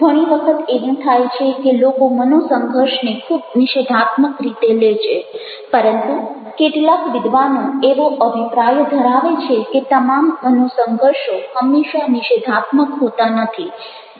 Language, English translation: Gujarati, many times it happens that people ah take conflicts in a very negative way, but there are some scholars they are of the opinion that conflicts are all are not always something negative